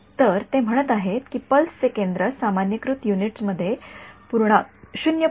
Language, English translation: Marathi, So, they are saying a centre of the pulse is 0